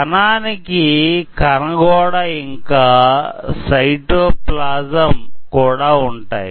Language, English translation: Telugu, So, this cell membrane as well as cytoplasm this